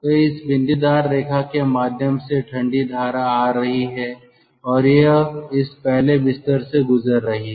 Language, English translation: Hindi, so the cold stream is coming, like this, through this dotted line and it is passing through this ah first bed, now first bed